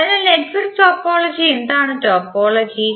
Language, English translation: Malayalam, So for network topology what is the topology